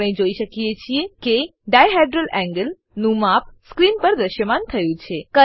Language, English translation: Gujarati, We can see the dihedral angle measurement displayed on the screen